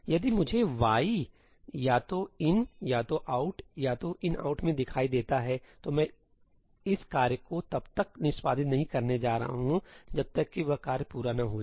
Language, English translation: Hindi, If I see ëyí in either ëiní, ëoutí or ëinoutí, I am not going to execute this task until that task is done